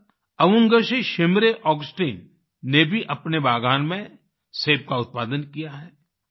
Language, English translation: Hindi, Similarly, Avungshee Shimre Augasteena too has grown apples in her orchard